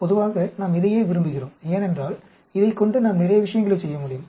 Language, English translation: Tamil, Generally, we like this one because we can do lot of things with this